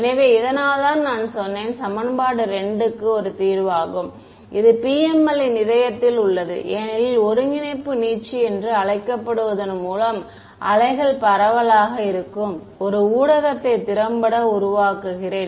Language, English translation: Tamil, So, this is why I said that this a solution to equation 2, this is at the heart of PML because, by doing a so called coordinate stretching, effectively I am generating a medium where the waves are evanescent ok